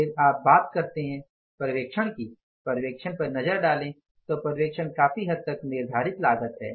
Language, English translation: Hindi, If you look at the supervision supervision is the part of the fixed cost